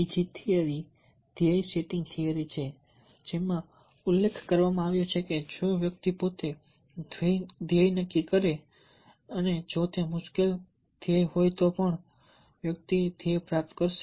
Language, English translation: Gujarati, there another theory, the goal setting theory, which mentions that if the persons self set the goal and even if it has difficult goal, then the person will attain the goal